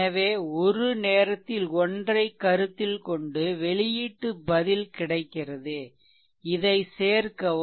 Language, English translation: Tamil, So, consider one at a time and output response you are getting and add this one